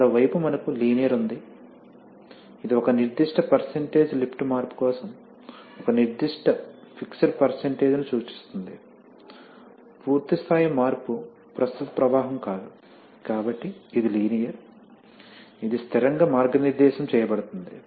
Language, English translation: Telugu, So, on the other hand we have linear, which is obvious that is for a certain percent of lift change a certain fixed percentage of the total, full scale change not current flow will take place, so it is a linear, it is guided by constant